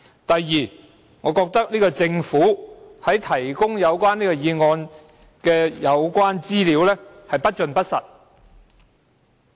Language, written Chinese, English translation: Cantonese, 第二，我認為政府在提供有關該議案的資料時不盡不實。, Second I think the information provided by the Government concerning this motion is incomplete and untruthful